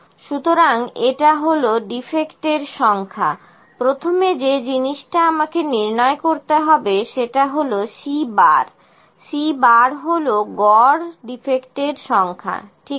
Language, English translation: Bengali, So, this is number of defects, first thing I need to calculate is C bar, C bar is the average number of defects, ok